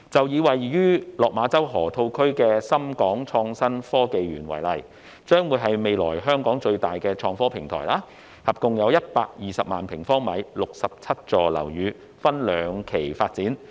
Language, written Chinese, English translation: Cantonese, 以位於落馬洲河套區的港深創新及科技園為例，該園將是香港未來最大的創科平台，提供合共120萬平方米的總樓面面積 ，67 座樓宇將會分兩期發展。, The Park will become the largest innovation and technology IT platform in Hong Kong . It covers a total gross floor area of 1.2 million sq m with 67 buildings to be developed in two phases